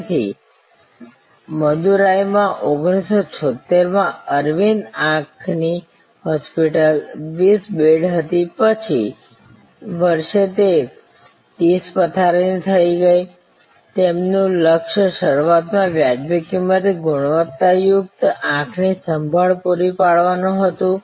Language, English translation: Gujarati, So, 1976 in Madurai, Aravind Eye Hospital started as at 20 bed, next year it went to 30 bed, they goal initially was providing quality eye care at reasonable cost